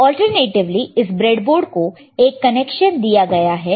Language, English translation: Hindi, So, alternatively there is a connection given to this breadboard